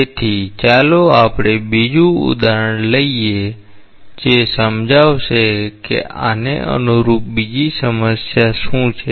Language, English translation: Gujarati, So, let us take another example that will illustrate that what is the corresponding problem